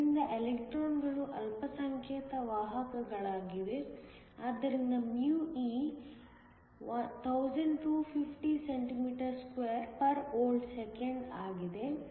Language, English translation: Kannada, So, electrons are the minority carriers, so μe is 1250 cm2 V 1s 1